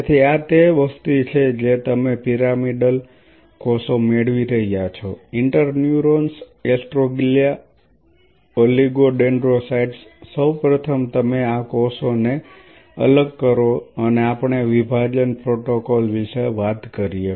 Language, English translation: Gujarati, So, this is the population what you are getting pyramidal cells interneurons astroglia oligodendrocyte first of all you dissociate these cells and we have talked about the dissociation protocol